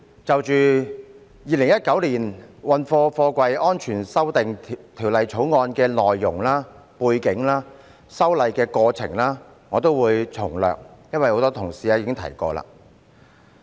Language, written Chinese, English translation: Cantonese, 就《2019年運貨貨櫃條例草案》的內容、背景及修例過程，我也會從略，因為很多同事已提及。, I am not going into details of the content background and the process of amending the Freight Containers Safety Amendment Bill 2019 the Bill because many colleagues have already mentioned them earlier